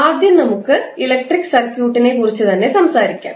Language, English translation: Malayalam, Let us talk about first the electric circuit